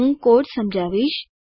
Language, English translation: Gujarati, I will explain the code